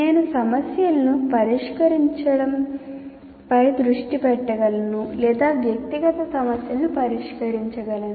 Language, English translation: Telugu, I can start discussions, I can focus on solving the problems or address individual issues